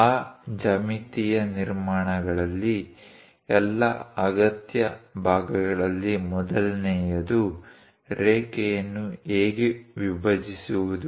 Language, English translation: Kannada, In that geometric constructions, the first of all essential parts are how to bisect a line